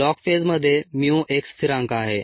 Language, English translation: Marathi, in the log phase mu is a constant